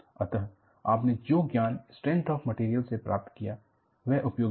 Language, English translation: Hindi, So, the knowledge, what you have gained in strength of materials was useful